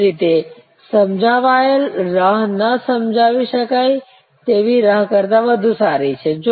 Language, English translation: Gujarati, Similarly, explained waits are better than unexplained waits